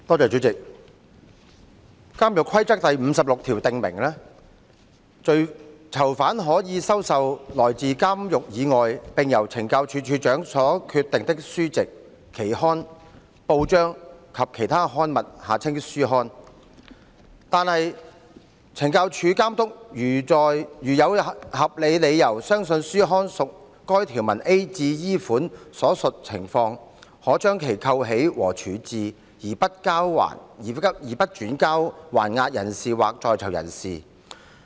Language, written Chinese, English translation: Cantonese, 主席，《監獄規則》第56條訂明，"囚犯可收受來自監獄以外並由[懲教署]署長所決定的書籍、期刊、報章或其他刊物"，但懲教署監督如有合理理由相信書刊屬該條文 a 至 e 款所述情況，可將其扣起和處置，而不轉交還押人士或在囚人士。, President Rule 56 of the Prison Rules stipulates that prisoners may receive such books periodicals newspapers or other publications from outside the prison as the Commissioner [of Correctional Services] may determine . However a Superintendent of the Correctional Services Department CSD may withhold and dispose of a publication without forwarding it to the relevant person on remand or in custody if he has reasonable grounds to believe that such publication falls within the circumstances referred to in subrules a to e of the rule